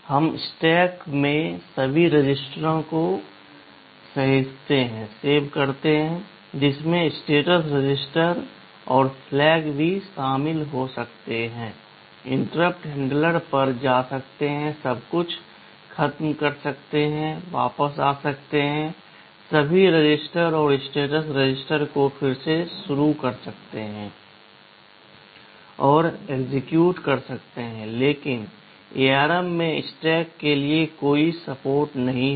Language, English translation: Hindi, We save all the registers in the stack that can include also the status registers and the flags, go to the interrupt handler, finish everything, come back, restore all registers and status register and resume execution, but in ARM there is no support for stack, there is no instruction to push or pop instructions in stack or from stack